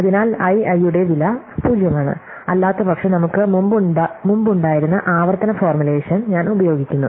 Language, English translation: Malayalam, So, the cost of i i is 0 and then otherwise I use the recursive formulation we had before